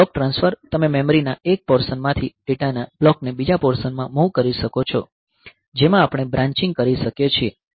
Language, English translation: Gujarati, Then block transfer you can move a block of data from one portion of memory to another portion we can do branching ok